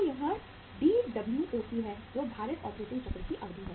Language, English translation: Hindi, So it is Dwoc that is the duration of the weighted operating cycle